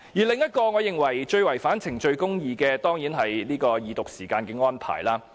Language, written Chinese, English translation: Cantonese, 另一個我認為最違反程序公義的地方，當然是二讀時間的安排。, Another area which I think has violated procedural justice the most is certainly the timing arrangement